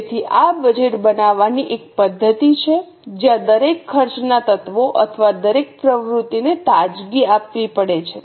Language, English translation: Gujarati, So, this is a method of budgeting where each cost element or each activity has to justify it afresh